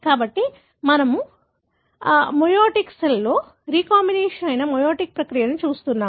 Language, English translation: Telugu, So, we are looking at a meioticprocess, the recombination in meioticcells